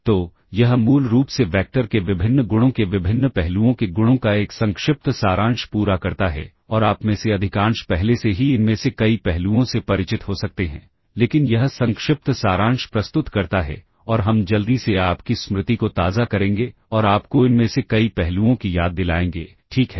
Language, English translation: Hindi, So, that’s basically that completes a brief summary, right, of the properties of the various aspects the various properties of vectors and most of you might already be familiar with many of these aspects, but this presents brief summary and we will quickly refresh your memory and remind you of several of these aspects, ok